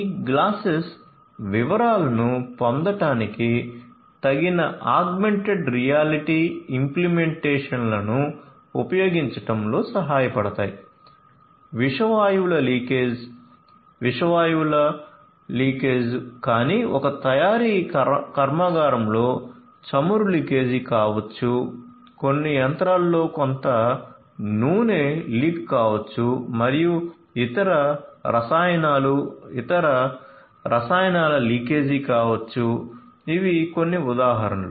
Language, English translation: Telugu, So, these glasses could help using suitable augmented reality implementations to get details of let us say details of leakage of toxic gases toxic gases, leakage of not just toxic gases, but also may be leakage of oil in a manufacturing plant maybe some machine some oil is getting leaked and so on or maybe some other chemicals leakage of other chemicals these are some of these examples